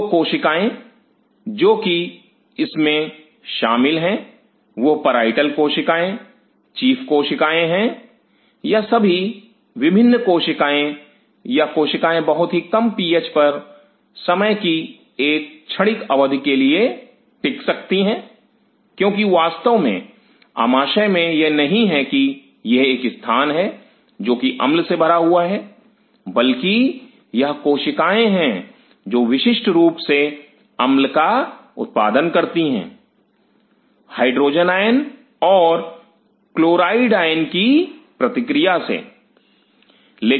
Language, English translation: Hindi, So, the cells which are involved in this is parietal cells chief cells, all these different cells; these cells can withstand at will a very low PH for a transient period of time because of course, in the stomach it is not that it is a place which is filled with acid these cells are specifically produces the acid by reacting the hydrogen iron and the chloride iron